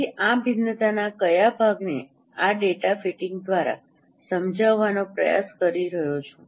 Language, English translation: Gujarati, So, it is trying to explain that what part of this variance is explained by this data fitting